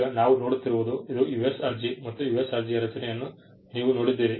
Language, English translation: Kannada, Now, let us look at this is a US application and you saw the structure of the US application